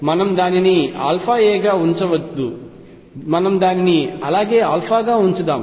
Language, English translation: Telugu, Let us not keep it alpha a let us just keep it as alpha